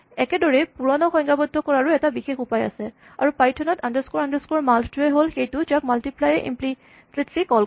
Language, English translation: Assamese, In the same way, we could have a special way of defining multiplication, and in python the underscore underscore mult function is the one that is implicitly called by multiply